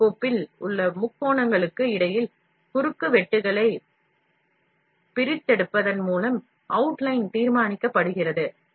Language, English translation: Tamil, The outline is determined by extracting intersections between the plane, and the triangles in the STL file